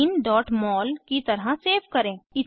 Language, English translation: Hindi, Save as Ethene.mol